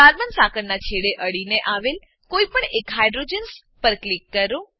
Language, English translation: Gujarati, Click on one of the hydrogens, that is close to the end of the carbon chain